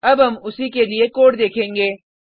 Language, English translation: Hindi, We will now see the code for the same